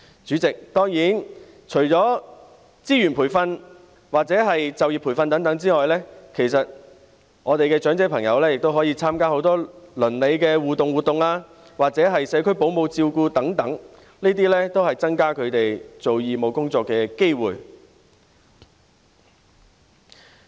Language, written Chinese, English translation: Cantonese, 主席，當然，除了資源、培訓或就業培訓外，我們的長者朋友也可以參加很多鄰里互動活動或社區保姆照顧服務等，這些也可以增加他們做義務工作的機會。, President of course apart from resources training and employment training our elderly people can also take part in many types of interactive neighbourhood activities home - based child care service etc . All of these can increase their opportunities of undertaking volunteer work